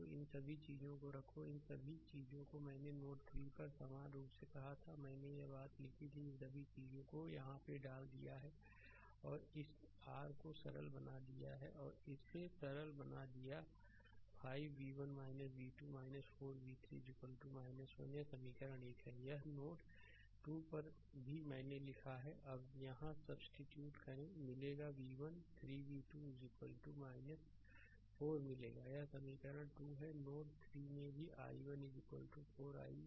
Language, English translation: Hindi, So, you put all these things all these things I told right similarly at node 3 I wrote this thing, you put all these things right all this things you put right here also and simplify this your this one you put it and simplify you will get 5 v 1 minus v 2 minus 4 v 3 is equal to minus 1